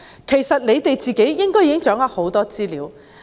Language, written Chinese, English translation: Cantonese, 其實政府應已掌握很多資料。, In fact the Government should already have a lot of information in hand